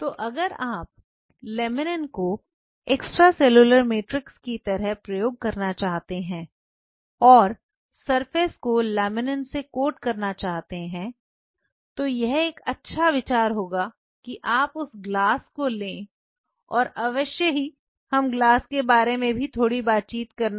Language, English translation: Hindi, So, many a times before you coat the substrate with laminin if you want to use laminin as the extracellular matrix, it may be a very fair idea that you take the glass and by the way we have to talk a little bit about the glass also